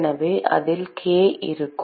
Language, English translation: Tamil, So, there will be k into